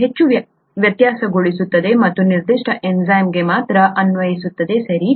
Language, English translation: Kannada, It is highly variable and applicable only for that particular enzyme, okay